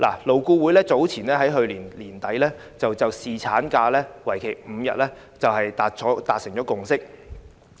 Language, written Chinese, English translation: Cantonese, 勞顧會在去年年底就侍產假增至5天達成共識。, LAB reached the consensus of increasing paternity leave to five days around the end of last year